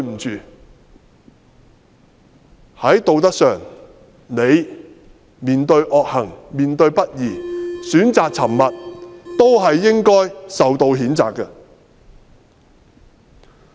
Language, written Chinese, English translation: Cantonese, 在道德上，你面對惡行和不義選擇沉默，也應受到譴責。, Morally as he has chosen to remain silent in the face of evil deeds he should also be condemned